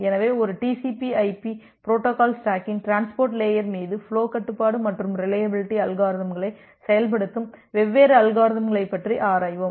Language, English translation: Tamil, So, we look into the different mechanism through which we implement the flow control and the reliability algorithms over the transport layer of a TCP/IP protocol stack